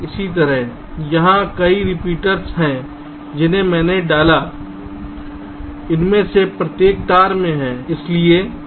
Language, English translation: Hindi, similarly, here there are several repeaters i have inserted